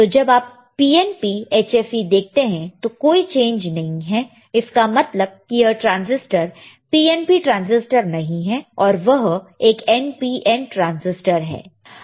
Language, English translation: Hindi, Here when you see PNP HFE there is no change right; that means, that this is not PNP transistor it is not an PNP transistor, and it is an NPN transistor